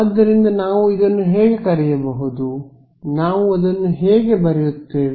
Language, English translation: Kannada, So, what can we call it, how will we write it